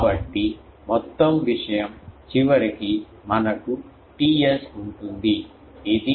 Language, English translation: Telugu, So, I can say that the whole thing ultimately we will have a T s, which is T r plus T a